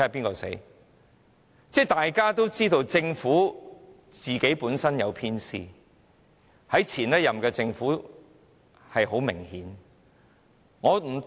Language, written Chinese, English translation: Cantonese, 其實，大家也知道政府本身有偏私，這種情況在前任政府的時期是相當明顯的。, Let us see who will fall first . As a matter of fact we all know that the Government practises favouritism fairly evidently in the last - term Government